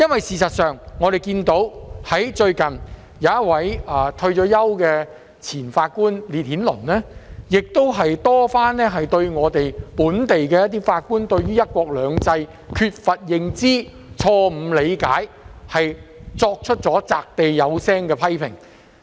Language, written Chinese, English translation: Cantonese, 事實上，最近，退休法官烈顯倫多番對於本地法官對"一國兩制"缺乏認知、錯誤理解，作出擲地有聲的批評。, As a matter of fact retired judge Henry LITTON has levelled forceful criticisms repeatedly against local judges recently for their lack of awareness and misunderstanding of one country two systems